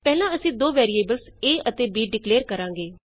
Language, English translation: Punjabi, First, we declare two variables a and b